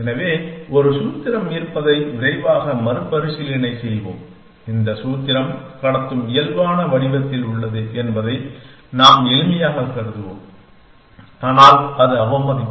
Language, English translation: Tamil, So, we just over quick recap that there is a formula and you we will assume for simplicity that this formula is in conductive normal form we does not have to be, but it is contempt